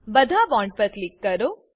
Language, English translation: Gujarati, Then click on all the bonds